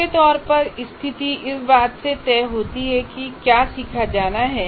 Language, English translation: Hindi, Broadly, the situation is decided by the nature of what is to be learned